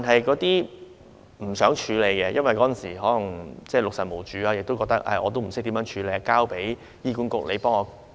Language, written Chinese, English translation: Cantonese, 有些父母不想處理，或許因為當時六神無主，亦不知道應如何處理，便交由醫院管理局處理。, Some parents do not want to deal with the remains concerned perhaps because they are bewildered and perplexed at the time not knowing what to do . They leave the Hospital Authority to handle the remains